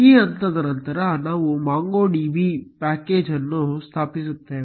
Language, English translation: Kannada, After this step, we will install the MongoDB package